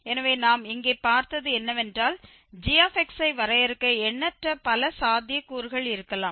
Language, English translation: Tamil, So, what we have seen here that there could be infinitely many possibilities for defining gx